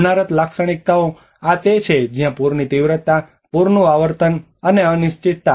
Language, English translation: Gujarati, Disaster characteristics: this is where the flood magnitude, flood frequency, and uncertainties